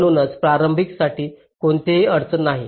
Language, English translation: Marathi, so for the onset there is no problem